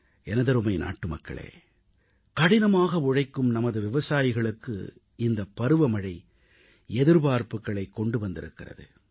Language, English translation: Tamil, My dear countrymen, the monsoon comes along, bringing a new ray of hope to our toiling farmers